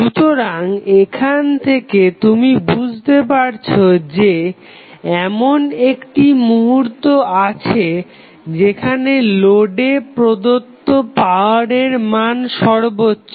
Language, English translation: Bengali, So, from this you can understand that there is 1 instance at which the maximum power would be supplied to the load